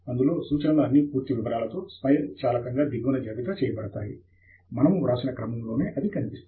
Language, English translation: Telugu, In that, in the bottom automatically the references are listed with complete details in the same sequence as they have appeared in the way we have written